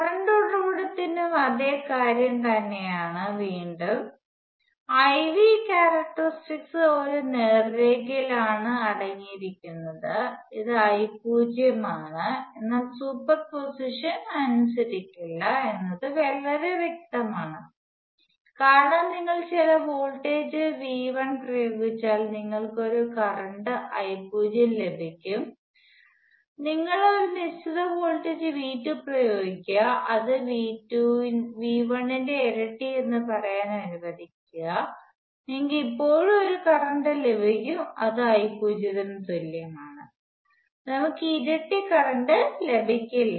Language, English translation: Malayalam, Obviously the exact same thing volts for a current source; again the I V characteristics consist of a straight line; this is I naught, but it is pretty obvious that superposition does not hold, because if you apply certain voltage V 1, you get a current I naught, you apply a certain voltage V 2 which is let say double of V 1, you will still get a current the same which is the same which is I naught, we will not get double the current